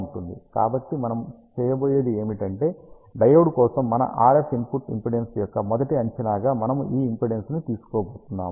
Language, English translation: Telugu, So, what we are going to do is we are going to take this impedance as the first estimate of our RF input impedance for the diode